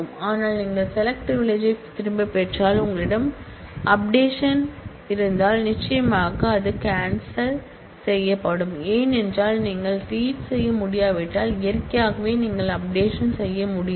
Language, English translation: Tamil, But, if you revoke the select privilege then if you also had the update privilege that will certainly get revoked, because if you cannot read then naturally you cannot change